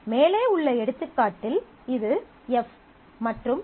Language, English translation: Tamil, So, here in that above example, this is F and this is F+